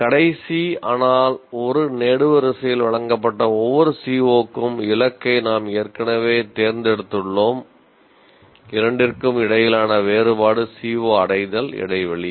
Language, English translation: Tamil, And then we get the C, we already have selected the target for each CO, which is presented in the last but one column and the difference between the two is the C O attainment gap